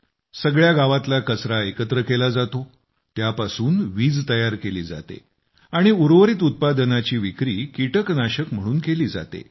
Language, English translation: Marathi, The garbage is collected from the entire village, electricity is generated from it and the residual products are also sold as pesticides